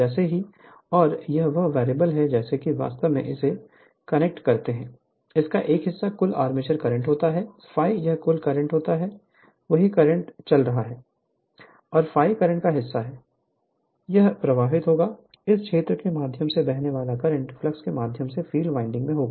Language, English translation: Hindi, So, as soon as and this is a variable as soon as you connect it, 1 part of the this is the total armature current, this is the total current I a right the same current is going and the part of the current, it will be flowing through this your I and part of the current flowing through the field winding right